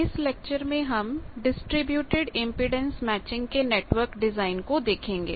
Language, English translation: Hindi, So, that design is called distributed impedance matching network